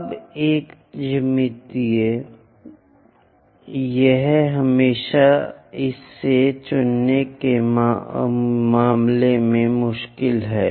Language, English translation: Hindi, Now a geometry this is always be difficult in terms of choosing it